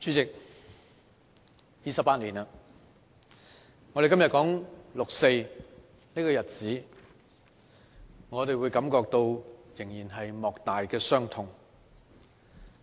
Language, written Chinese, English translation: Cantonese, 代理主席 ，28 年了，當我們今天說六四這個日子時，我們仍會感到莫大的傷痛。, Deputy President it has been 28 years . Today when we talk about this day of 4 June we are still overwhelmed by unspeakable sadness and grief